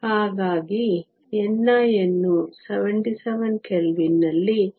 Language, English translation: Kannada, So, N c at 77 Kelvin is 1